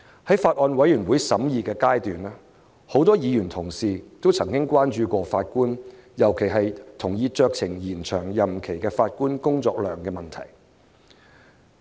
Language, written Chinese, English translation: Cantonese, 在法案委員會審議階段，很多議員同事曾關注法官，尤其是同意酌情延長任期的法官工作量的問題。, During the scrutiny of the Bill many Honourable colleagues were concerned about the workload of Judges especially those who have agreed to a discretionary extension of their term of office